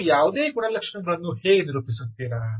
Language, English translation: Kannada, how will you do any characterization